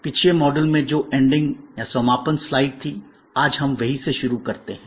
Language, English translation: Hindi, In the last module we had this slide, which was the ending slide and this is, where we start today